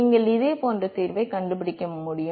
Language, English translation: Tamil, And you should be able to find similar solution